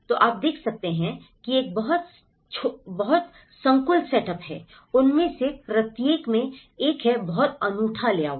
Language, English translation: Hindi, So, you can see this is a very clustered setup; each of them has a very unique layout